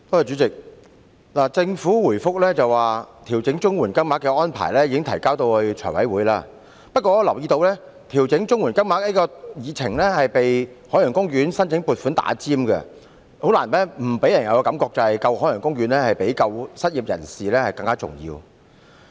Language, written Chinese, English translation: Cantonese, 主席，政府答覆時表示，調整綜援金額的安排已提交財務委員會，但我留意到，調整綜援金額的議程項目已被香港海洋公園申請撥款的項目插隊，讓人覺得拯救香港海洋公園較拯救失業人士更重要。, President the Government said in reply that the arrangement for adjusting the standard payment rates under the CSSA Scheme has been submitted to the Finance Committee but I have noticed that the agenda item on Funding Support to the Ocean Park Corporation has been inserted before the item on adjusting the standard payment rates under the CSSA scheme which gives an impression that saving the Ocean Park is more important than saving the unemployed